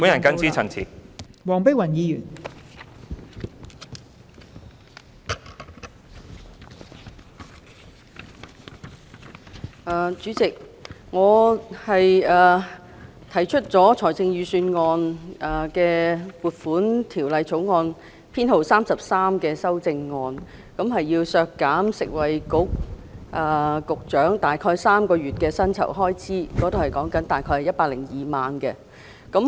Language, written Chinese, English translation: Cantonese, 代理主席，我就《2019年撥款條例草案》提出編號33的修正案，建議削減食物及衞生局局長大概3個月的薪酬開支，即大概102萬元。, Deputy Chairman I propose Amendment No . 33 to the Appropriation Bill 2019 which seeks to deduct an amount of 1.02 million estimated expenditure which is approximately equivalent to the three - month emoluments for the position of the Secretary for Food and Health